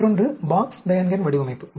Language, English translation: Tamil, The other one is the Box Behnken design